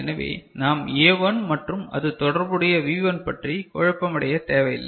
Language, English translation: Tamil, So, we need not get confused with A1 and you know this V1 their association